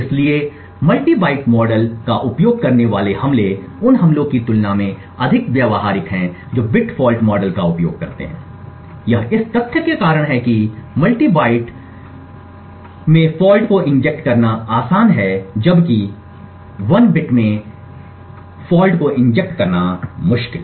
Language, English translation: Hindi, So, attacks which use the multiple byte model is more practical compare to the attacks which use bit fault model, this is due to the fact that it is easier to inject faults in multiple bytes then to inject faults in precisely one single bit